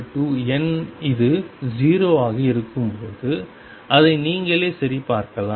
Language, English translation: Tamil, And when m is not equal to n it is 0, which you can check yourself